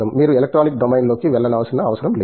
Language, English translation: Telugu, You do not have to go into the electronic domain